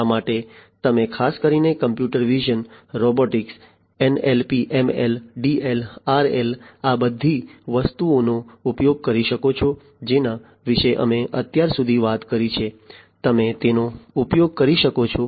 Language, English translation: Gujarati, So, for this specifically you could use computer vision, robotics, NLP, ML, DL, RL all of these things that we have talked about so far you could use them